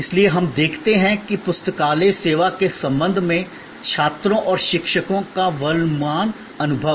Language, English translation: Hindi, So, we look that the current experience of students and faculty with respect to the library service